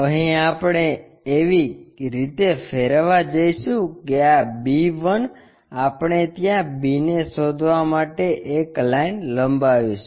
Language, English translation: Gujarati, Here, we are going to rotate in such a way that, this b 1 we extend a line to locate b' there